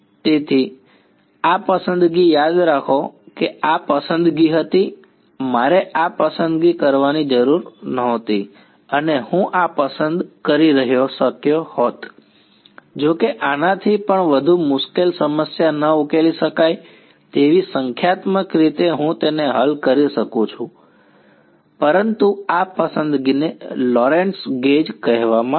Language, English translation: Gujarati, So, this choice remember this was the choice, I need not have made this choice and I could have chosen this although even more difficult problem its not unsolvable numerically I can solve it, but this choice is what is called the Lorentz gauge